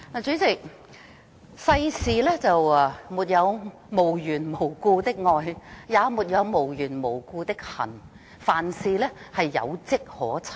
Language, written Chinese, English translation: Cantonese, 主席，世上沒有無緣無故的愛，也沒有無緣無故的恨，凡事皆有跡可尋。, President when it comes to the emotions of love and hate there is always a reason for how we feel